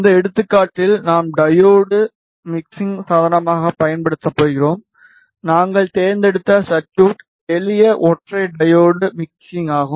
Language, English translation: Tamil, In this example we are going to use diode as the mixing device and the circuit we have chosen is simple single diode mixer